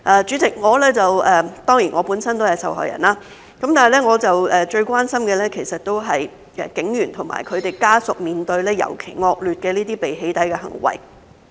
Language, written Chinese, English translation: Cantonese, 主席，我本身都是受害人，但我最關心的，其實是警員和他們的家屬面對尤其惡劣的被"起底"行為。, President I am a victim myself but what I am most concerned about is that police officers and their family members are facing a particularly disgusting behaviour of being doxxed